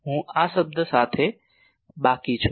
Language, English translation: Gujarati, I am left with this term